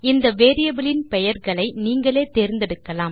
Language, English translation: Tamil, The variable names can be chosen by you